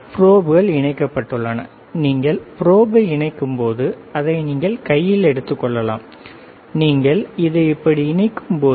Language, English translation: Tamil, The probes are connected and when you connect the probe, you can take it in hand and you can connect it like this, yes